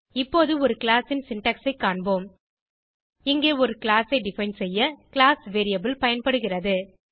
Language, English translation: Tamil, Now let us see the syntax for a class Here, class is a keyword used to define a class